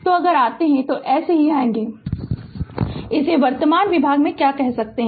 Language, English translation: Hindi, So, if you if you come if you come like this that your what you call that from the current division